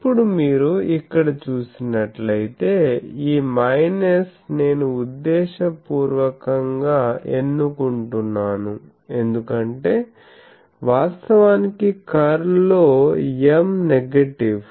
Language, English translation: Telugu, Now, this minus as you see here I am choosing deliberately because actually in my curl equation you will see that M is negative